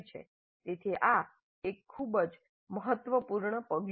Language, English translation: Gujarati, So this is a very important step